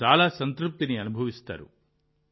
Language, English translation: Telugu, You will feel immense satisfaction